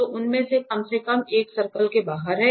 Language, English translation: Hindi, So, at least one of them is outside the circle